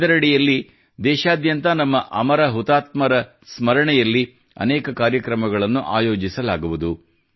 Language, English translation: Kannada, Under this, many programs will be organized across the country in the memory of our immortal martyrs